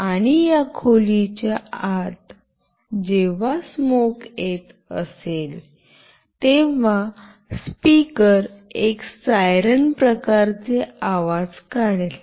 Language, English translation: Marathi, And whenever there is a smoke inside this room, the speaker will make a siren kind of sound